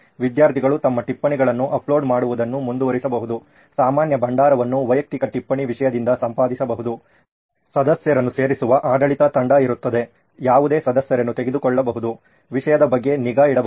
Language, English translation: Kannada, Students can keep uploading their notes, the common repository can be edited from individual note content, there will be an administrative team who will be adding members, who can take out members, who can keep a track on the content